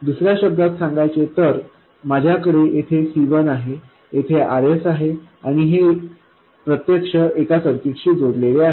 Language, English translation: Marathi, In other words, I have C1 over here, RS, and this is connected to something, that is actually the circuit, and there will be some looking in resistance